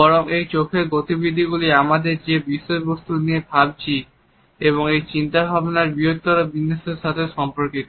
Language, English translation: Bengali, Rather these eye movements are correlated with the content we are thinking of as well as the larger pattern of these thoughts